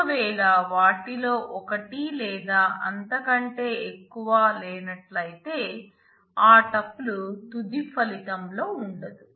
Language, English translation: Telugu, If it does not have any one or more of them then that tuple will not feature in the final result